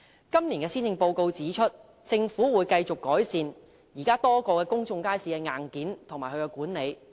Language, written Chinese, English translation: Cantonese, 今年施政報告指出，政府會繼續改善現時多個公眾街市的硬件和管理。, It is mentioned in the Policy Address this year that the Government will continue to enhance the hardware and management of a number of existing public markets